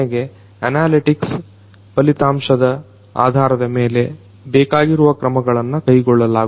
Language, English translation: Kannada, And finally, based on the results of the analytics, requisite actions are going to be taken